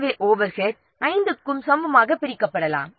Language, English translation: Tamil, So, the overhead may be equally divided among all the five